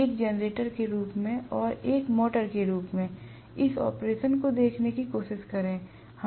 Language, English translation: Hindi, Let me try to look at this operation as a generator and as a motor, right